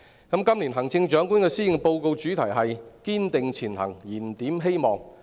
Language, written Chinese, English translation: Cantonese, 今年行政長官的施政報告主題是"堅定前行燃點希望"。, The theme of the Policy Address by the Chief Executive is Striving ahead Rekindling Hope